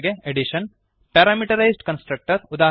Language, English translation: Kannada, Addition Parameterized Constructor